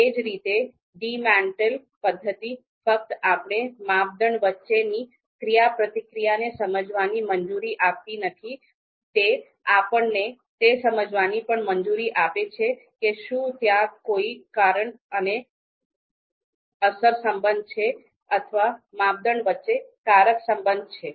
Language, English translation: Gujarati, Similarly, you know DEMATEL method, so DEMATEL method not just allows us to understand the model the interaction between criteria, it also allows us to understand if there is cause and effect relationship, causal relationship between criteria